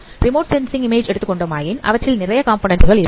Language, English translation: Tamil, But if I consider remote sensing images, these components could be very large